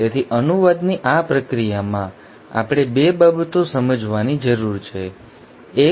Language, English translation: Gujarati, So we need to understand 2 things in this process of translation, 1